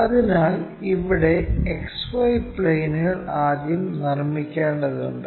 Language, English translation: Malayalam, So, here the XY plane first one has to construct